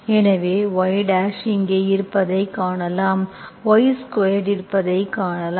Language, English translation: Tamil, So that means you can write as x of y